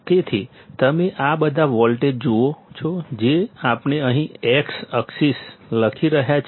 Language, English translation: Gujarati, So, you see these all the voltage we are writing here in the x axis